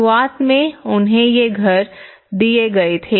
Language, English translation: Hindi, Initially, they were given these house